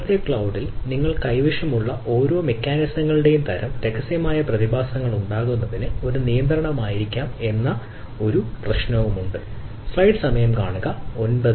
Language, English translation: Malayalam, there is another ah problem that the type of ah each mechanisms you are having at in the present day cloud may be a restrictive to having those secretive phenomena in place